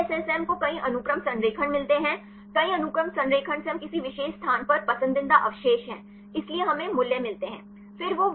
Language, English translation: Hindi, PSSM gets the multiple sequence alignment; from the multiple sequence alignment we have the preferred residues at any particular position; so we get the values